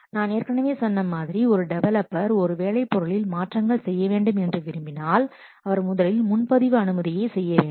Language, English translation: Tamil, I have already told you that when a developer needs to change a work product, he first makes a reserve request